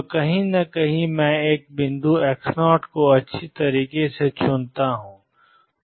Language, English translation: Hindi, So, somewhere I choose a point x 0 well